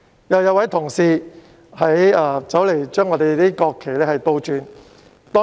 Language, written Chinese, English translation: Cantonese, 有一位議員走過來，將我們的國旗倒插。, At the time a Member came over and turned them upside down